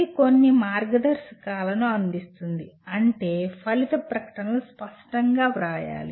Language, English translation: Telugu, It provides some guidance that is how clearly the outcome statements need to be written